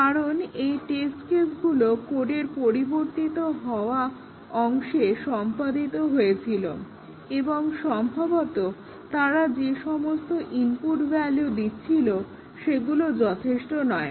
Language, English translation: Bengali, Because, these test cases were executing the changed part of the code and possibly, the input values they were giving was inadequate